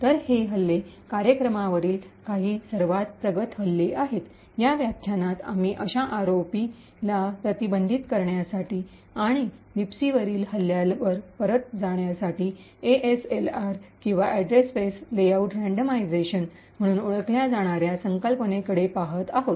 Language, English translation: Marathi, So, these attacks are some of the most advanced attacks on programs, in this particular lecture we will be looking at a concept known as ASLR or Address Space Layout Randomisation in order to prevent such ROP and Return to Libc attacks